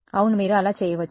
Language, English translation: Telugu, Yeah you can do that